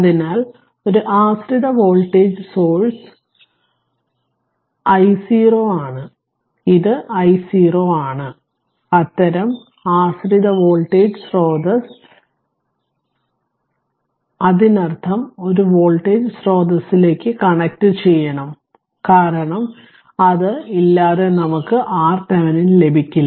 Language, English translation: Malayalam, So, one dependent voltage source is there that is 3 i 0 and this is i 0 such dependent voltage dependent voltage source is there; that means, you have to connect a your what you call say voltage source to your a, because without that you cannot get your R Thevenin right